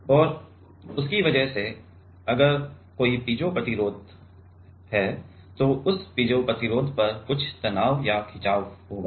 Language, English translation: Hindi, And, because of that if there is a piezo resistor then there will be some stress or strain on that piezo resistor